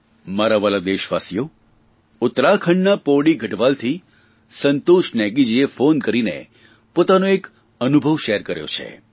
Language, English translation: Gujarati, My dear countrymen, Santosh Negi from Pauri Garhwal in Uttarakhand, has called up to relate one of his experiences